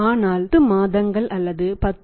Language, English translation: Tamil, But it can be say 10 months or 10